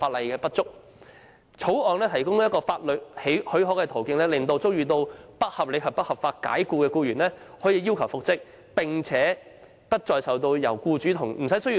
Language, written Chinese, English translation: Cantonese, 《條例草案》提供法律途徑，讓遭受不合理及不合法解僱的僱員不但可要求復職，而且復職無須僱主同意。, It does not only offer a legal channel for employees to request reinstatement after unreasonable and unlawful dismissal; more importantly it allows reinstatement without the consent of employers